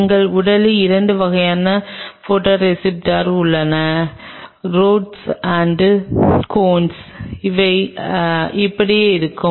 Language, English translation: Tamil, There are 2 kinds of photoreceptors in our body the Rods and the Cones and they look like this